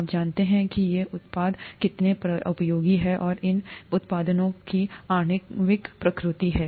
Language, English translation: Hindi, You know how useful these products are, and this is the molecular nature of these products